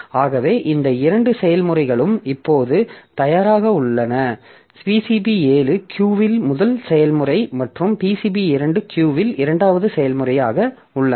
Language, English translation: Tamil, Out of that this PCB 7, so that is process 7 is the first process in the queue and this is the PCB 2 is the second process in the queue